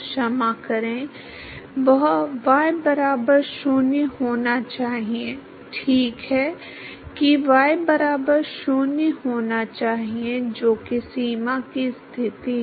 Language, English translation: Hindi, Sorry, that should be y equal to 0, right that should be y equal to 0 that is the boundary condition